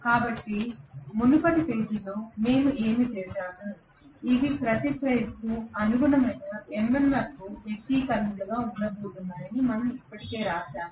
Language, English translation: Telugu, So what we did in the previous page, we had already written that these are going to be the MMF expressions corresponding to each of the phases